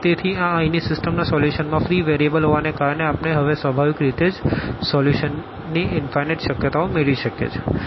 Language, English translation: Gujarati, So, this having a free variable in the solution in the system here we are naturally getting infinitely many possibilities of the solution now